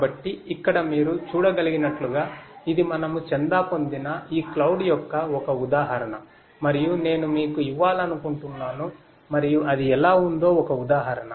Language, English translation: Telugu, So, here as you can see this is just an instance of this cloud that we are subscribe to and I just wanted to give you and a instance of how it looks like